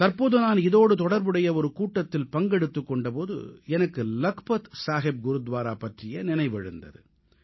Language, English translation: Tamil, Recently, while holding a meeting in this regard I remembered about of Lakhpat Saheb Gurudwara